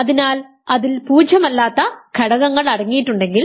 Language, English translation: Malayalam, So, if it contains non zero elements